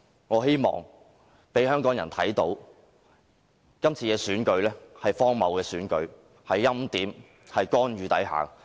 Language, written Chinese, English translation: Cantonese, 我希望香港人可以看到今次選舉是荒謬的，是在欽點、干預之下進行的選舉。, I hope Hong Kong people can see how ridiculous this election is because it is conducted under preordination and interference